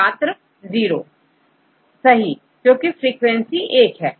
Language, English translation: Hindi, Zero, because the frequency is one